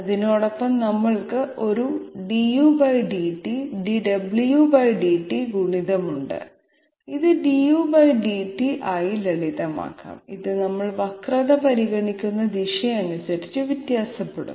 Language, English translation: Malayalam, Together with that we have a du /dt and dw /dt multiplier, which can also be simplified to du by dw and this varies with the direction and which we are considering the curvature